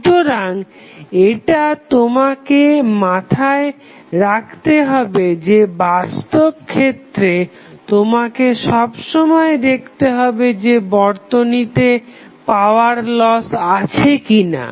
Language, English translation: Bengali, So, that is something which you have to keep in mind that in practical scenario, you always have to see whether there is a power loss in the circuit are not